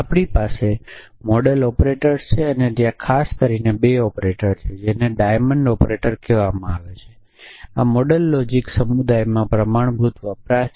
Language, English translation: Gujarati, So, we have something called modal operators and there are in particular 2 operators, one is called diamond operator this is standard usage in modal logic community